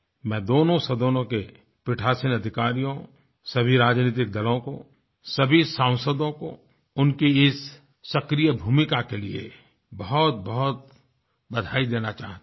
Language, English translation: Hindi, I wish to congratulate all the Presiding officers, all political parties and all members of parliament for their active role in this regard